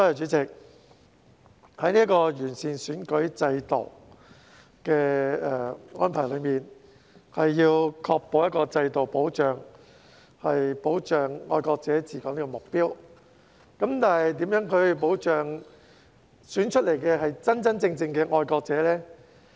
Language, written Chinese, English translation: Cantonese, 主席，完善選舉制度的安排是要確保一個制度能保障"愛國者治港"的目標，但如何能確保當選的人是真正的愛國者？, Chairman the arrangements made to improve the electoral system is to ensure that the system can safeguard the objective of patriots administering Hong Kong . But how can we ensure that the people elected are genuine patriots?